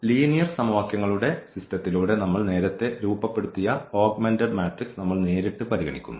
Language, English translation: Malayalam, We consider directly the augmented matrix which we have earlier formed through the system of linear equations